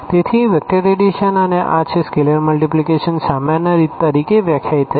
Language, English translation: Gujarati, So, here the vector addition and this is scalar multiplication is defined as usual